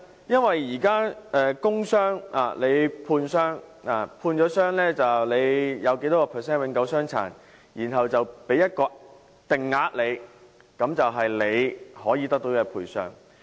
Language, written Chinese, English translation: Cantonese, 因為現時工傷僱員在判傷時，會判訂有多少百分率的永久傷殘，然後給予一個定額，那便是僱員可以得到的賠償。, The reason is that in assessing an employees work injuries the authorities will ascertain the percentage of permanent incapacity and subsequently determine a fixed sum . This sum is the compensation for the employee